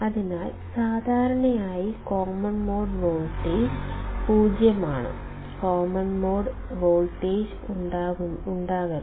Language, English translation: Malayalam, So, ideally common mode voltage is 0; ideally common mode voltage should not be there